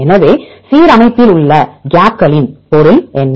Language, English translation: Tamil, So, what is the meaning of gaps in alignment